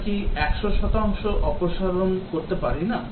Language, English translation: Bengali, Cannot we remove 100 percent